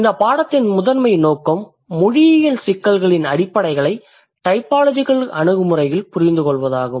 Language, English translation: Tamil, So, the primary objective of this course is to understand the fundamentals of linguistic issues in a typological perspective that includes various things of a language